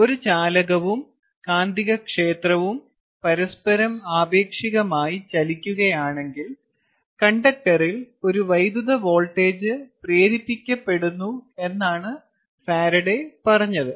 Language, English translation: Malayalam, what faraday said is: if a conductor and a magnetic field move relative to each other, an electric voltage is induced in the conductor